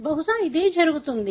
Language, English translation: Telugu, Possibly this is what happens